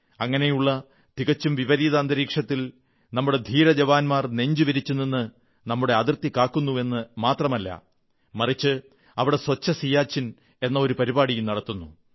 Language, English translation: Malayalam, In such a difficult situation, our brave heart soldiers are not only protecting the borders of the country, but are also running a 'Swacch Siachen' campaign in that arena